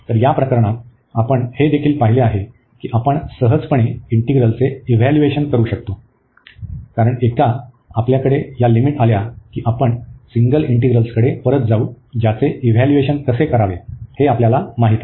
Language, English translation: Marathi, So, in this case also we have seen that we can easily evaluate the integrals, because once we have these limits we are going back to the single integrals, which we know how to evaluate